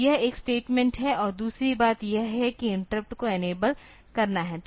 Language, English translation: Hindi, So, this is one statement and the other thing is the enabling of interrupt